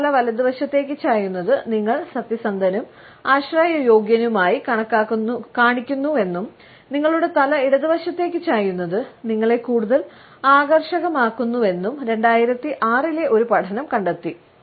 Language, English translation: Malayalam, A 2006 study found that tilting your head to the right makes you appear honest and dependable, and tilting your head to the left makes you more attractive